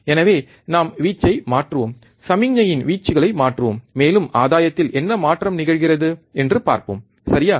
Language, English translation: Tamil, So, we will just change the amplitude, change the amplitude of the signal, and we will see what is the change in the gain, alright